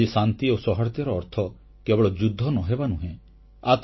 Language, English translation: Odia, Today, peace does not only mean 'no war'